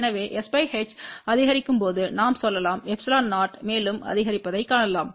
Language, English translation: Tamil, So, we can say that as s by h increases we can see that epsilon 0 also increases